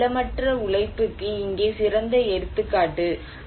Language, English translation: Tamil, So, here is greater example of landless labour